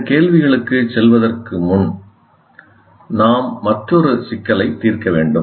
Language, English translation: Tamil, And before we move on to that, the question should come